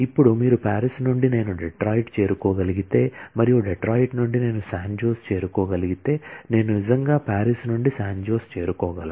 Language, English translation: Telugu, Now, you can see that from Paris, if I can reach Detroit and from Detroit I can reach San Jose, then I can actually reach San Jose from Paris